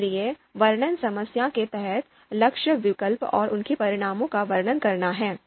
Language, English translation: Hindi, So under description problem, goal is to describe alternatives and their consequences